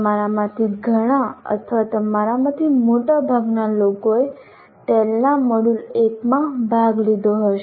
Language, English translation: Gujarati, Many of you or most of you would have participated in the module 1 of tail